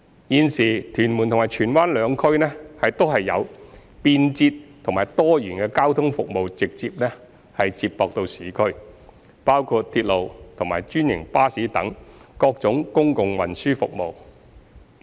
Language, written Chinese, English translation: Cantonese, 現時，屯門及荃灣兩區均有便捷及多元的交通服務直接接駁市區，包括鐵路及專營巴士等各種公共運輸服務。, Currently there are various kinds of public transport services such as railways and franchised buses directly connecting both the Tuen Mun and Tsuen Wan districts to urban areas providing residents with convenient and diversified transport services